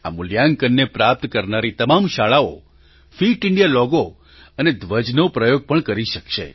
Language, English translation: Gujarati, The schools that achieve this ranking will also be able to use the 'Fit India' logo and flag